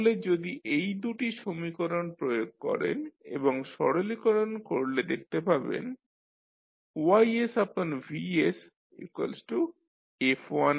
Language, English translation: Bengali, So, if you use these 2 equations and simplify you can see that Ys upon Xs is nothing but F1s into F2s